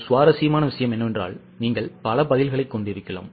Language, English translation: Tamil, Interesting thing is you can have multiple answers